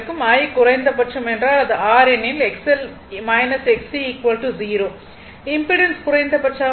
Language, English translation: Tamil, Since, I is equal to minimum means it is R because X L minus X C 0 impedance is minimum R